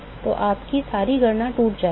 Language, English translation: Hindi, So, all your calculation will fall apart